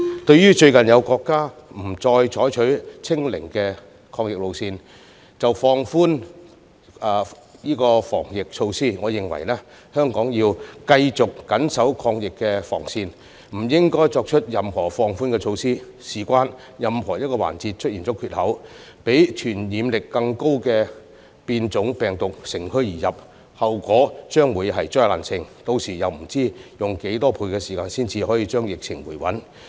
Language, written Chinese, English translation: Cantonese, 就最近有國家不再採取"清零"的抗疫路線便放寬防疫措施，我認為香港要繼續緊守抗疫防線而不應該作出任何放寬措施，原因是若有任何一個環節出現缺口，讓傳染力更高的變種病毒乘虛而入，便會出現災難性後果，屆時不知道要用多少倍時間才可以令疫情回穩。, Recently a country no longer adopts the anti - epidemic line of zero infection and relaxes its anti - epidemic measures . I nonetheless think that Hong Kong should hold firm to our line of defence against the epidemic without relaxing any of such measures . In case the virus variants of higher transmissibility strike once we relax our vigilance and create loopholes in any part this will take a heavy toll and no one knows how long it will take by then to stabilize the epidemic again